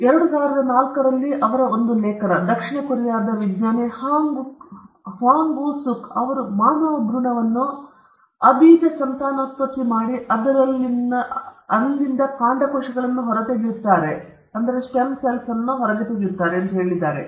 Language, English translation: Kannada, In an article in science, in 2004, the South Korean scientist Hwang Woo suk claimed that he cloned a human embryo and extracted stem cells from it